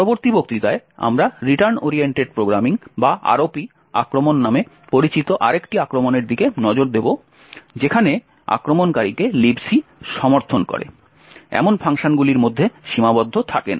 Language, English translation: Bengali, In the next lecture we will look at another attack known as the Return Oriented Programming or the ROP attack where the attacker is not restricted to the functions that LibC supports but rather can create any arbitrary payloads, thank you